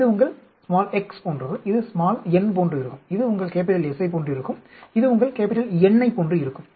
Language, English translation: Tamil, This is like your x, this will be like n, this will be like your S, this will be like your N